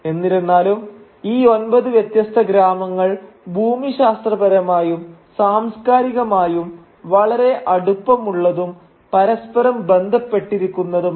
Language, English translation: Malayalam, But these nine different villages are nevertheless geographically and culturally very closely interlinked and well knit together